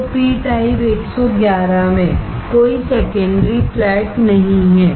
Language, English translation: Hindi, So, in p type 111, there is no secondary flat